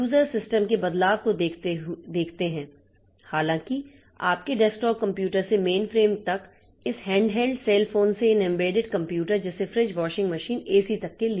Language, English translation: Hindi, So, the user's view of the system changes though in all the cases starting from your desktop computer to main to main frames to this handheld cell phones to this embedded computers like refrigerator freeze and refrigerator washing machine, AC and all that